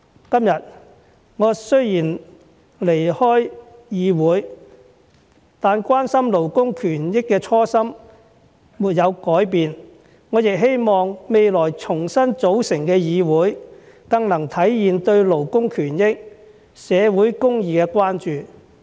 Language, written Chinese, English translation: Cantonese, 今天，我雖然離開議會，但關心勞工權益的初心沒有改變，我亦希望未來重新組成的議會，更能體現對勞工權益、社會公義的關注。, Although I will leave this Council today my care for workers rights will remain consistent and unchanged . I hope that when the new Council is formed it will better embody the concern for workers rights and social justice